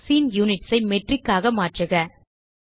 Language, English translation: Tamil, Change scene units to Metric